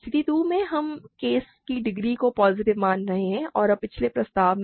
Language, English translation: Hindi, In case 2, we are treating the case degree is positive and now by the previous proposition